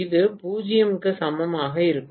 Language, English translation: Tamil, It is not equal to 0